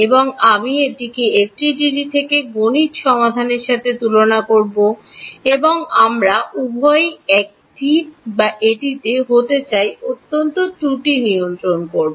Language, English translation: Bengali, And I will compare that with the computed solution from FDTD, and we would want both of those to be the same or at least control the error